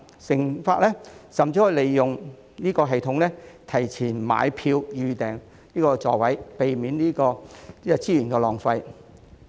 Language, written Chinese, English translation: Cantonese, 乘客甚至可以利用該系統提前買票及預訂座位，避免資源浪費。, Passengers can even use the system to buy tickets and reserve seats in advance to avoid waste of resources